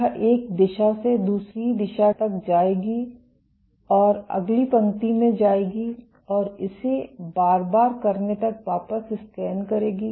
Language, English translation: Hindi, It will do along a line from one direction to the other it will go to the next line and scan back until keep doing this repeatedly